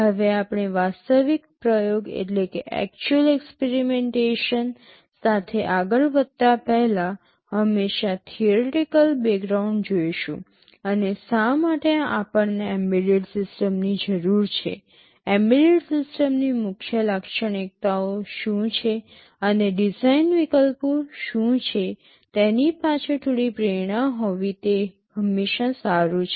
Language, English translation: Gujarati, Now before we proceed with the actual experimentation, it is always good to have some theoretical background and some motivation behind why we need an embedded system, what are the main characteristics of an embedded system and what are the design alternatives